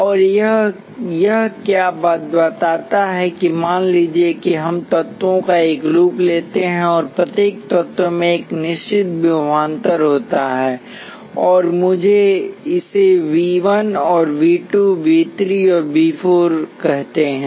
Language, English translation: Hindi, And what it tells is that let say we take a loop of elements and each element has a certain voltage across it, and let me call this V 1, V 2, V 3 and V 4